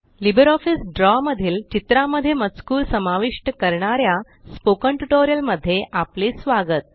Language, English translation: Marathi, Welcome to the Spoken Tutorial on Inserting Text in Drawings in LibreOffice Draw